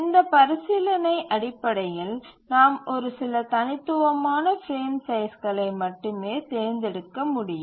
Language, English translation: Tamil, Based on this consideration, we can select only few discrete frame sizes